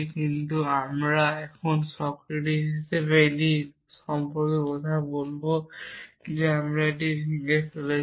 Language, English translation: Bengali, But now, we would talk about it as man Socrates that we are breaking it down